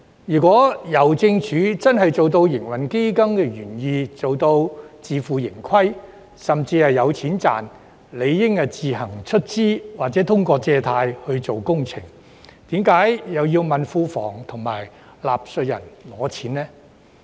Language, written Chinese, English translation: Cantonese, 如果郵政署真的做到營運基金的原意，能夠自負盈虧，甚至有盈利，便理應自行出資或通過借貸來進行工程，為何要問庫房及納稅人討錢呢？, If Hongkong Post had truly realized the original intent of the trading fund by achieving self - financing or even making profits it should have started the construction work at its own expense or by borrowing . Why does it ask the Treasury and the taxpayers to pay for it then?